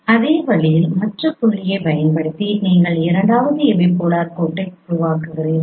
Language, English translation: Tamil, In the same way using the other point you form the second epipolar line